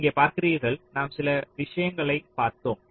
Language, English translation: Tamil, ok, so you see, here we looked at a few things